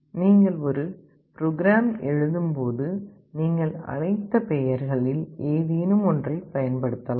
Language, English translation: Tamil, When you write a program, you can use any of those names as you want